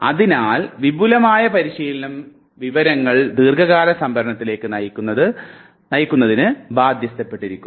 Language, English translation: Malayalam, Therefore elaborative rehearsal is bound to push the information towards long term storage